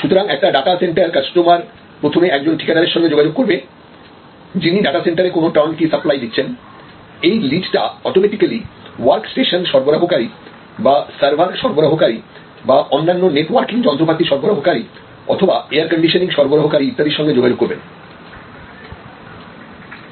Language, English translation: Bengali, So, that the sales, so if somebody a data center customer a first contacts a contractor who will give a turnkey supply of the data center will automatically lead to contacts with work station suppliers or server suppliers or other networking equipment suppliers or the specialized air conditioning supplier and so on